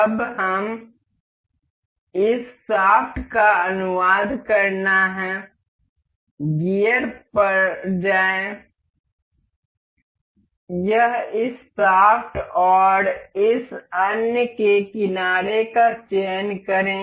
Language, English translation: Hindi, Now and this shaft has to be translated to go to gear, this select this shaft and the edge of this other